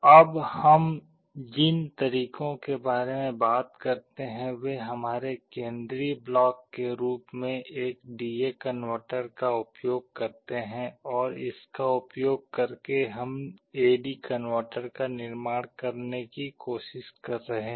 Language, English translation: Hindi, The methods that we talk about now use a D/A converter as our central block, and using that we are trying to realize an A/D converter